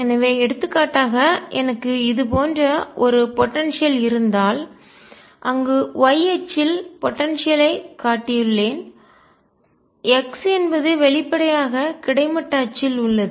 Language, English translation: Tamil, So, for example, if I have a potential like this, where I have shown the potential energy along the y axis and x is; obviously, on the horizontal axis